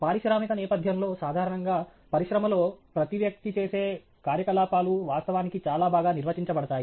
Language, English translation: Telugu, In the industrial setting, typically, the activities that each person carries out in the industry is actually well defined